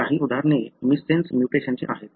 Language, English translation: Marathi, Some of the examples are missense mutation